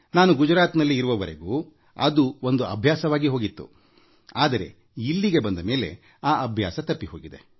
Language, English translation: Kannada, Till the time I was in Gujarat, this habit had been ingrained in us, but after coming here, I had lost that habit